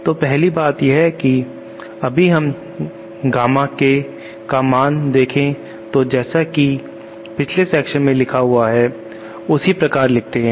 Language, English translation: Hindi, So first thing is if we write Gamma K values that we have been writing in the previous sections as given like this, ok